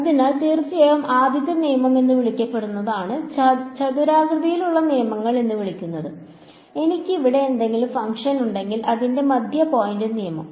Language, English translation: Malayalam, So, the first rule of course is the what is called as the; is called the rectangle rules, its the midpoint rule that if I have some function over here